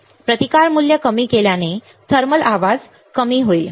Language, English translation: Marathi, And lowering the resistance values also reduces the thermal noise